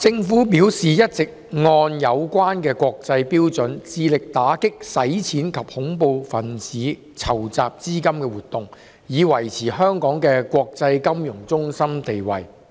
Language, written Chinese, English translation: Cantonese, 政府表示一直按有關的國際標準，致力打擊洗錢及恐怖分子籌集資金的活動，以維持香港的國際金融中心地位。, The Government has stated that it has all along been striving to combat money laundering and terrorist financing activities in accordance with relevant international standards in order to maintain Hong Kongs status as an international financial centre